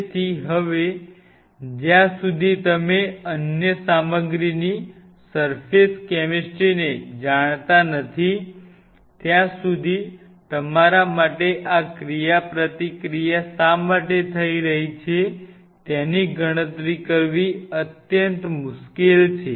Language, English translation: Gujarati, So, now, unless otherwise you know the surface chemistry of any material it is extremely tough for you to quantify that why this interaction is happening